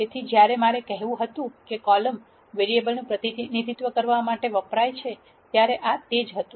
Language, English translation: Gujarati, So, that is what I meant when I said the columns are used to represent the variable